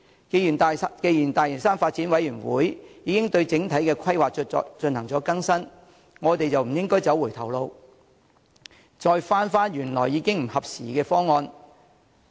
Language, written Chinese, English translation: Cantonese, 既然大嶼山發展諮詢委員會已對整體規劃作出更新，我們就不應走回頭路，返回原本已不合時宜的方案。, As the Lantau Development Advisory Committee has updated the overall plan we should not take the retrograde step of going back to the original plan which is out of date